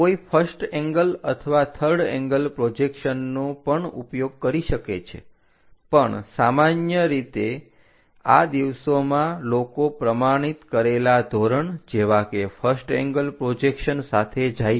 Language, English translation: Gujarati, One can use first angle and also third angle projections, but these days usually people are going with a standardized protocol like first angle projection